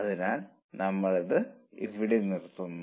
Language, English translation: Malayalam, So, with this we'll stop here